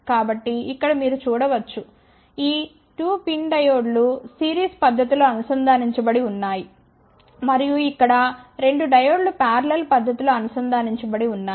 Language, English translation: Telugu, So, here you can see these 2 pin diodes are connected in the series fashion and here 2 diodes are connected in parallel fashion